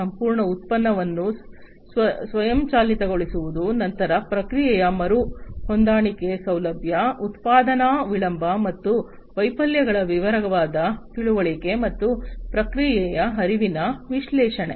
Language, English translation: Kannada, So, automating the entire product line basically automating the entire product line; then ease of process re adjustment facility, detailed understanding of production delay and failures, and process flow analytics